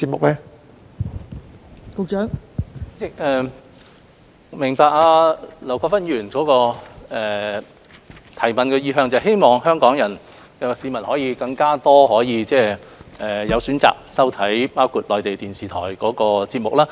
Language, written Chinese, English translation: Cantonese, 代理主席，我明白劉國勳議員提出補充質詢的意向，是希望香港市民可以有更多選擇，包括收看內地電視台的節目。, Deputy President I understand Mr LAU Kwok - fans intention of raising the supplementary question and that is hoping Hong Kong citizens will have more choices including watching programmes of Mainland TV stations